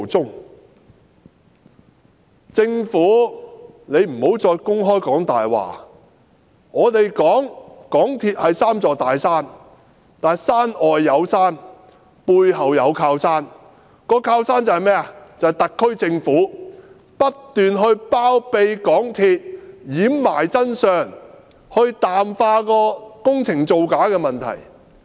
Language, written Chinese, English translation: Cantonese, 請政府不要再公然說謊，我們說港鐵公司是三座"大山"之一，但山外有山，背後有靠山，靠山就是特區政府不斷包庇港鐵公司，掩埋真相，淡化工程造假的問題。, I urge the Government not to tell lies so brazenly anymore . We said that MTRCL is one of the three big mountains but behind this mountain there is another mountain providing staunch backing to it for the SAR Government has continuously taken MTRCL under its wings covering up the truth and watering down the problem of frauds committed in the course of the construction works